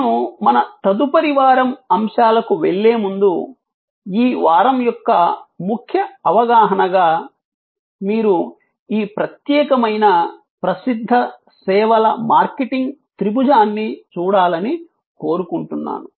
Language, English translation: Telugu, Before I move to our next week’s topics as a key understanding of this week I would like you to look at this particular famous services marketing triangle